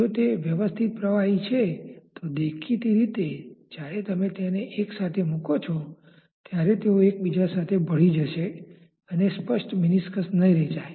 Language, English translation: Gujarati, If they are miscible liquids; obviously, when you when you put them one with the other, they may mix with each other and the clear meniscus may not be formed